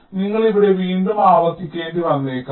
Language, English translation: Malayalam, so you may have to do an iteration here again